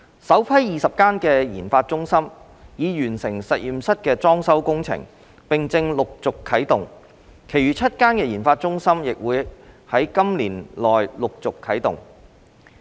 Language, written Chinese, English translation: Cantonese, 首批20間研發中心已完成實驗室裝修工程，並正陸續啟動，其餘7間研發中心亦會於今年內陸續啟動。, The first batch of 20 admitted RD centres have completed the renovation of their laboratories and commenced operation progressively and the remaining seven RD centres will commence operation later this year